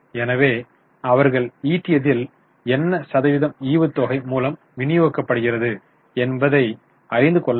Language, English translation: Tamil, So, we come to know what percentage of their earning is being distributed by way of dividend